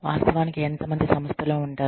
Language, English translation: Telugu, How many people actually, stay with the organization